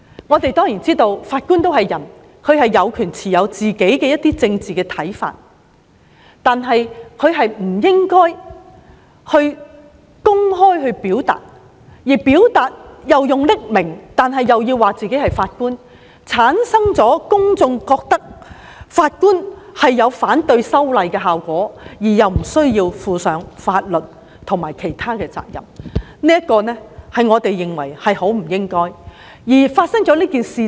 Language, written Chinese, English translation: Cantonese, 我們明白法官也是人，他有權持有個人的政治看法，但他不應該公開表達，更不應以匿名的方式表達，這會令公眾認為法官反對修例，但又不需負上法律或其他責任，我們認為很不應該這樣。, We understand that Judges are human beings and they are entitled to their own political views but they should not express them publicly much less anonymously . Such actions will give the public the impression that Judges who oppose the amendment exercise need not bear any legal or other responsibilities . I think that is very inappropriate